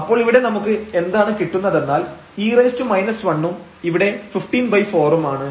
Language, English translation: Malayalam, So, what do we get here, e power minus 1 and then here 15 over this 4